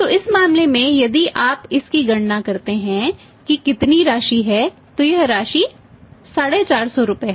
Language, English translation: Hindi, So, in this case if you calculate this how much is amount works out is rupees 450